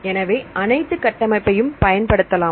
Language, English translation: Tamil, So, we can use all these structures